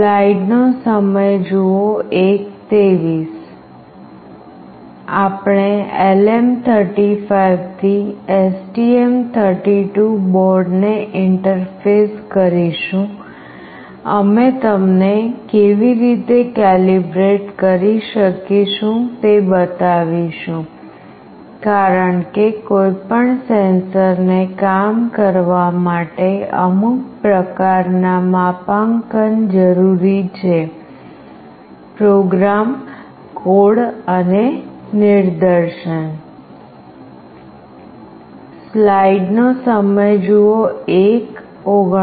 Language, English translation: Gujarati, We will interface LM35 to STM32 board will also show you how we can calibrate, because for any sensor to work some kind of calibration is required, the program code and the demonstration